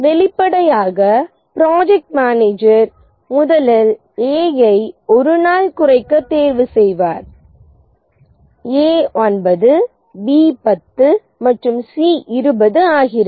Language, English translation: Tamil, Obviously the project manager will choose A to reduce at first, reduce it by one day, A becomes 9, B 10 and C20